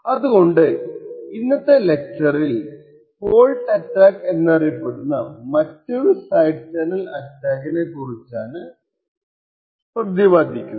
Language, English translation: Malayalam, So, in today’s video lecture we will be looking at another form of side channel attack known as a fault attack